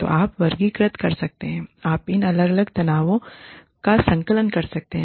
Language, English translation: Hindi, So, you can categorize, you can compartmentalize, these different tensions